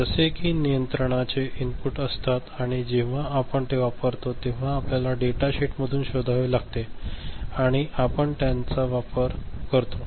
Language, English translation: Marathi, These are the control inputs as and when you use it, you find out from the data sheet and make use of them, ok